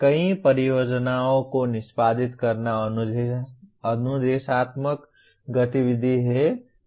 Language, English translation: Hindi, Executing many projects is instructional activity